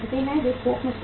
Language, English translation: Hindi, They store in bulk